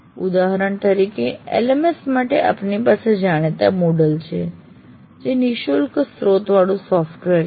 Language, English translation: Gujarati, Take for example LMS, you have the well known Moodle which is an open source